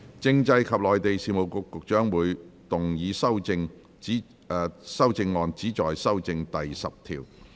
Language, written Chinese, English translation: Cantonese, 政制及內地事務局局長會動議修正案，旨在修正第10條。, The Secretary for Constitutional and Mainland Affairs will move amendments which seek to amend clause 10